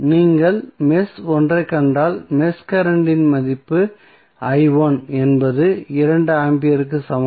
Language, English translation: Tamil, If you see mesh one the value of mesh current is i 1 is equal to 2 ampere